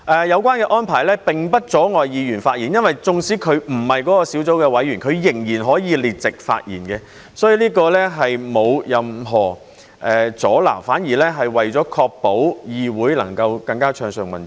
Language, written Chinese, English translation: Cantonese, 有關安排並不阻礙議員發言，因為縱使議員不是該小組的委員，仍然可以列席發言，所以這並沒有任何阻撓，反而確保議會能夠更加暢順運作。, Such arrangement does not hinder Members from speaking out . Even if Members are not members of a subcommittee they can still attend its meetings and speak out so there is no obstruction at all . On the contrary this ensures that the Council can operate more smoothly